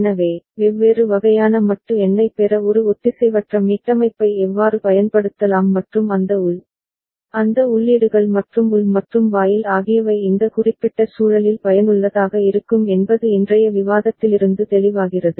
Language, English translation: Tamil, So, it will be clear from today’s discussion that how a asynchronous reset can be used to get different kind of modulo number and those internal, those inputs and the internal AND gate can come useful in this particular context